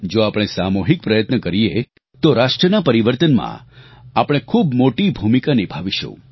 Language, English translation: Gujarati, We will play a big role in the transformation of the nation, if we make a collective effort